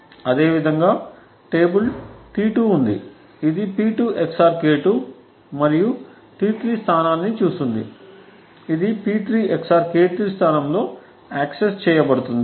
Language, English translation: Telugu, Similarly, there is the table T2 which gets acted upon which gets looked up at the location P2 XOR K2 and T3 which is accessed at the location P3 XOR K3